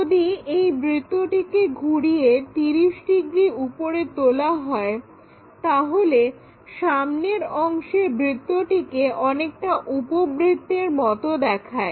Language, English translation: Bengali, This circle, if I am rotating it lifting it by 30 degrees, this frontal portion circle turns out to be something like elliptical kind of shape